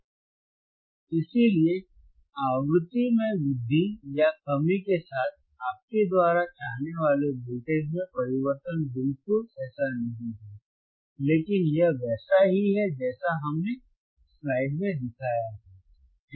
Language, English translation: Hindi, And that is why, the change in the voltage that you seek, or with increase or decrease in the frequency is not exactly like this, but it is similar to what we have shown in the in the slide all right